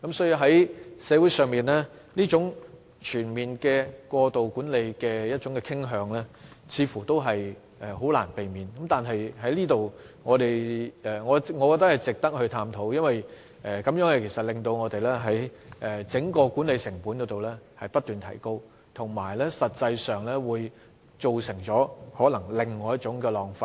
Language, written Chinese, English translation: Cantonese, 因此，社會出現這種全面過度管理的傾向似乎難以避免，但我認為這方面值得探討，因為過度管理會令整個管理成本不斷提高，且可能會造成另一種浪費。, It is thus inevitable that there is a tilt towards overall excessive management in society . This phenomenon deserves our study because excessive management will give rise to soaring management cost and likely to cause a waste of resources